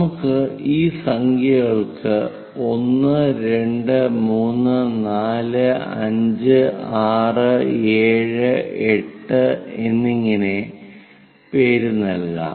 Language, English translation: Malayalam, Name these points as 1 prime 2 prime 3 prime 4 prime 5, 6, 7, 8, 9, 10, 11 and 12 parts